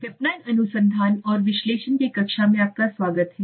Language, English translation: Hindi, Welcome friends to the class of marketing research and analysis